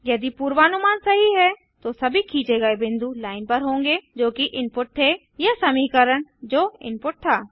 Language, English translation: Hindi, If the prediction is correct all the points traced will fall on the line that was input or the function that was input